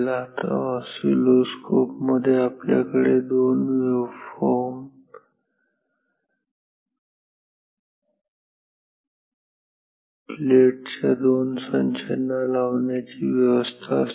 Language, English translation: Marathi, Now, in oscilloscopes we have provisions to apply 2 waveforms at 2 across these 2 sets of plates